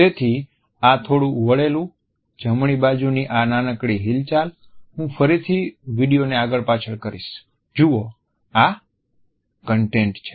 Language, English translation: Gujarati, So, this little twitched here, this little movement on the right side, I am moving back and forth that is content